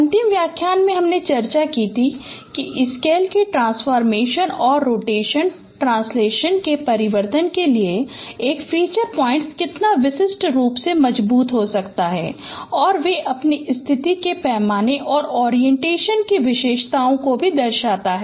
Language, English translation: Hindi, In the last lecture we discussed how a feature point can be very distinctive, robust to the transformation of scale and rotation translation and they are characterized by their position scale and also orientation